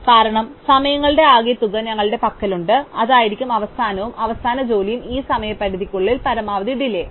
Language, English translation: Malayalam, Because, we have the total the sum of the times and that will be the end and the last job will have among these, the maximum delay with respect to this deadline